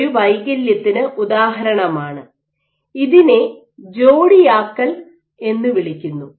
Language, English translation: Malayalam, So, this is an example of a defect and this is called as pairing